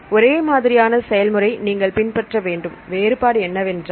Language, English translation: Tamil, Same procedure you have to follow; only is the difference is